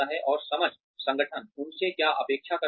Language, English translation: Hindi, And understanding, what the organization expects from them